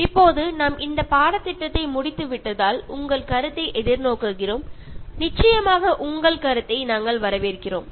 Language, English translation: Tamil, And now as we have concluded the course, so we will be looking forward towards your feedback, we welcome your feedback on the course